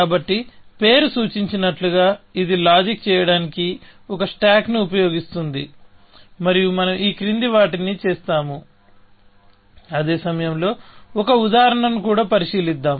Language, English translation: Telugu, So, as the name suggests, this uses a stack to do the reasoning, and we do the following that; let us also consider an example, along the same, at the same time